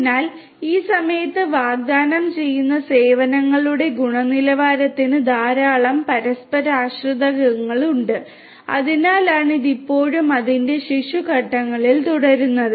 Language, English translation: Malayalam, So, quality of services offered at this point has lot of interdependencies that is why it is still in its that is why it is still in its infant stages